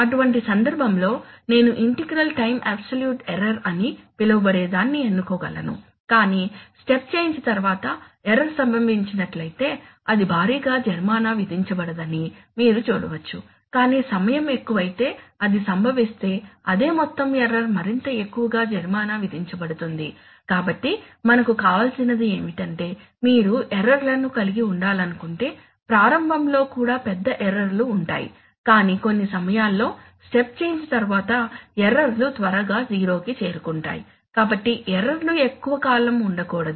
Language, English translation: Telugu, So in which case I can choose what is known as an integral time absolute error, but you can see that if an error occurs earlier after the step change it is not penalized so heavily but if it occurs later as time goes high the same amount of error is more and more heavily penalized, so what we want is that if you want to have errors even large errors have them in the beginning but after the step change within certain times the errors must quickly converge to 0, so the errors must not persist for long times